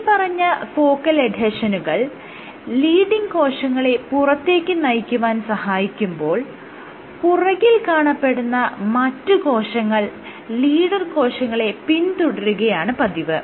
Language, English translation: Malayalam, So, what the focal adhesions are allowing is this leading cells to kind of trying to go outside while these other cells at the rear end are following the leader cell so, but the other thing is